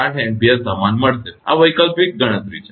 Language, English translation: Gujarati, 8 Ampere same, this is the alternate calculation